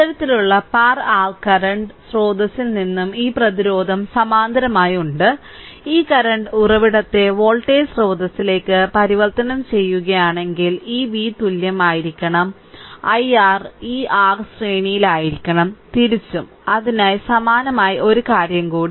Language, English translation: Malayalam, And from this kind of par your current source and this resistance is there in parallel, if you transform this current source to the voltage source, then this v should be is equal to i r this R should be in series vice versa right So, similarly one more thing